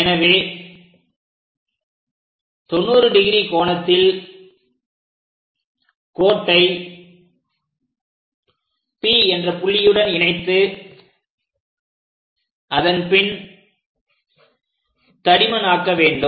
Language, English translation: Tamil, So, locate 90 degrees, join P with line and after that darken it